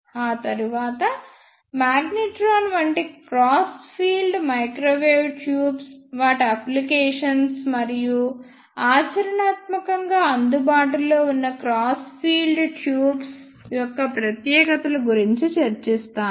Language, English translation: Telugu, After that, I will discuss cross field microwave tubes such as magnetrons, their working their applications and specifications of practically available cross field tubes